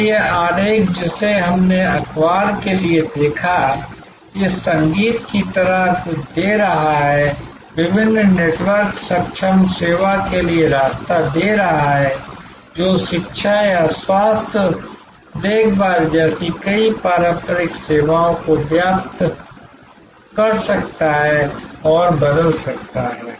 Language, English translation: Hindi, So, this diagram that we saw for newspaper, giving way to something like this music, giving way to different network enabled service like these may permeate and transform very traditional services, like education or health care